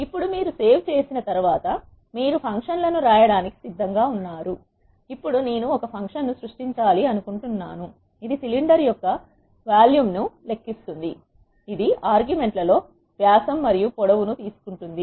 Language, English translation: Telugu, Now, once you save you are ready to write functions, now I want to create a function which calculates the volume of a cylinder which takes in the arguments the diameter and length